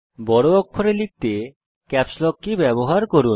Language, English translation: Bengali, Use the Caps Lock key to type capital letters